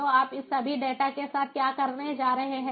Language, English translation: Hindi, so what are you going to do with all this data